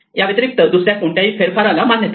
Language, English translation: Marathi, Other than this, no other manipulation should be allowed